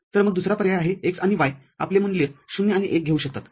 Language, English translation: Marathi, So, then the other option is x and y can take value 0 and 1